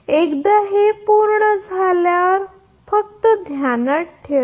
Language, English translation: Marathi, So, once this is done just hold on